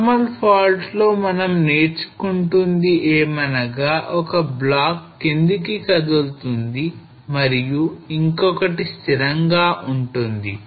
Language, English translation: Telugu, So in normal fault what we were learning is that one block will move down another will remain stationary